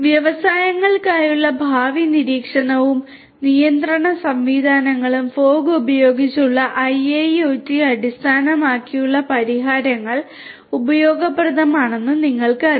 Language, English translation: Malayalam, Futuristic monitoring and control systems for industries, they are also you know IIoT based solutions using fog are useful